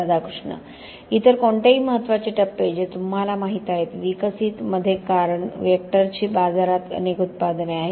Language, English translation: Marathi, Any other major milestones which like you know, in the developed because Vector has several products in the market